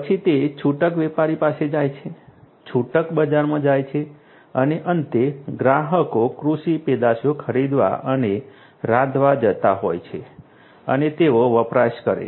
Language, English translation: Gujarati, Then it goes to the retailer, the retail market and finally, the consumers are going to buy and cook the produce the agricultural produce and they are going to consume